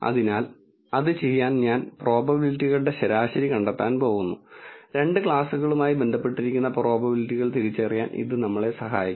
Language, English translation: Malayalam, So, to do that I am going to find the mean of the probabilities and this will help us to identify the probabilities which are associated with the two classes